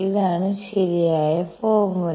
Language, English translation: Malayalam, This is the correct formula